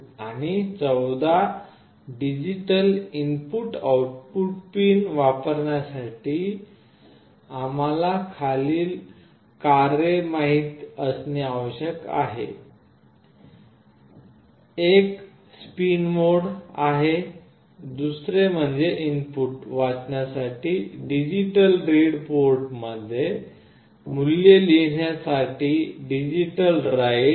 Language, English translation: Marathi, And for using the 14 digital input output pins, we need to know the following functions: one is spin mode, another is digital read for reading the input, digital write to write the value into the port